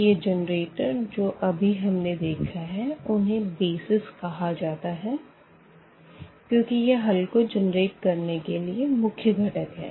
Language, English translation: Hindi, So, these generators which we have just seen before these are called the BASIS because these are the main component that generator of the solution